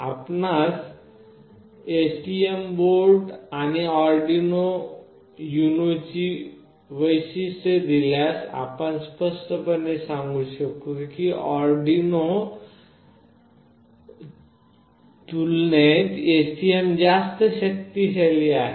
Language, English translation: Marathi, If you see the features of STM board and Arduino UNO, you can clearly make out that STM is much powerful as compared to Arduino